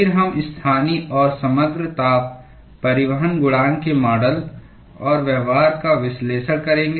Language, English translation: Hindi, We will then analyze the models and the behavior of the local and the overall heat transport coefficients